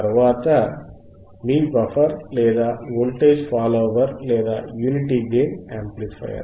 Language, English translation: Telugu, This is your buffer right buffer or, voltage follower or, unity gain amplifier